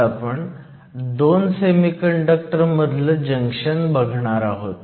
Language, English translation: Marathi, Today, we are going to look at a junction between 2 semiconductors